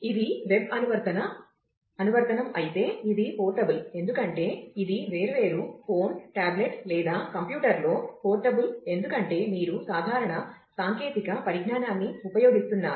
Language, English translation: Telugu, If it is a web app app, then it is portable because it is portable across different phone tablet or computer because, you are using generic technologies